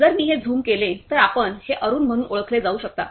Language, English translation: Marathi, So, if I zoom it so, you can see that it has been identified as Arun